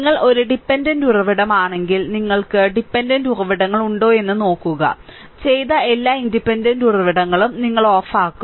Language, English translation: Malayalam, If you are a dependent sources look if you have dependent sources, you will turn off all independent sources done